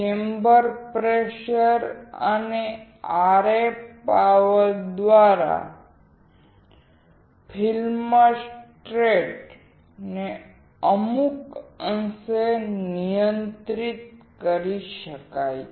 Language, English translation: Gujarati, The film stress can be controlled to some degree by chamber pressure and RF power